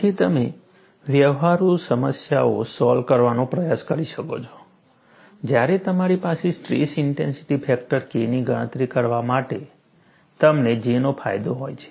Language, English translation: Gujarati, So, you can attempt to solve practical problems, when you have the advantage of J, for you to calculate the stress intensity factor K